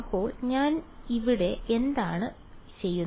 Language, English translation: Malayalam, So what I am doing now